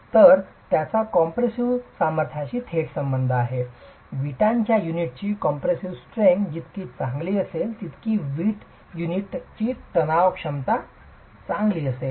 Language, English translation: Marathi, So, it has a direct correlation with the compressive strength, better the compressive strength of the brick unit, better is going to be the tensile strength of the brick unit